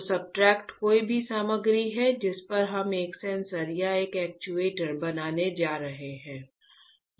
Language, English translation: Hindi, So, substrate is any material on which we are going to fabricate a sensor or an actuator, alright